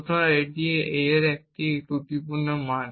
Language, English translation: Bengali, So this is the faulty value of a